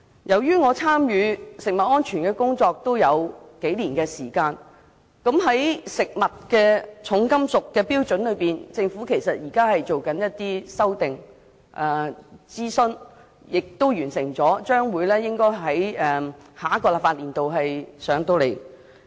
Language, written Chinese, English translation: Cantonese, 由於我參與食物安全的工作已有數年時間，因而知道在食物含重金屬的標準方面，政府其實正在進行修訂，並已完成諮詢，將於下一個立法年度向立法會提交建議。, Having taken part in the work of food safety for several years I understand that in respect of the limit of heavy metals content in food the Government is actually in the process of making amendments . It has completed consultation and will introduce proposals to the Legislative Council in the next legislative year